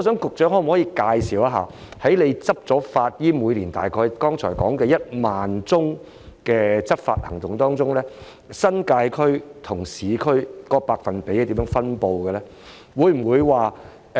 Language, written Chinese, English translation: Cantonese, 局長可否介紹一下他剛才說每年大概1萬宗的執法行動當中，處理新界區和市區僭建物的百分比是怎樣分布的呢？, Can the Secretary tell us about the proportions of UBWs in the New Territories and the urban areas respectively among the approximately 10 000 cases to be handled per year as mentioned by him just now?